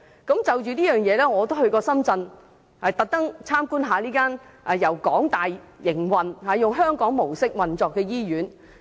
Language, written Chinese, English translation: Cantonese, 我就此也曾特意前往參觀這間由香港大學營運，以香港模式運作的醫院。, Because of this I deliberately took a trip to visit this hospital operated by the University of Hong Kong HKU and based on Hong Kong model